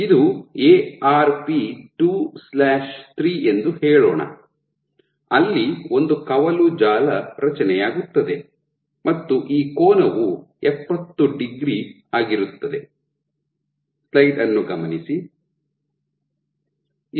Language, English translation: Kannada, So, let us say this is my Arp 2/3 there will be formation of a branch network and this angle is 70 degrees